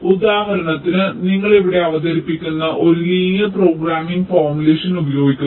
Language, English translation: Malayalam, for example, the one that we, that you present here, uses a linear programming formulation